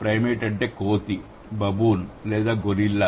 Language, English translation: Telugu, Primate is ape, baboon or gorilla